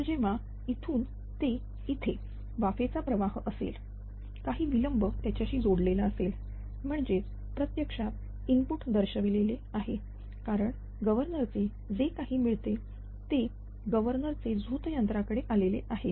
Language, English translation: Marathi, So, from from here to here when were steam is your ah flowing right, some delay will be associated with that, that is actually represent by this is input, because governor output whatever it was coming right, from the output of the governor it is coming to the turbine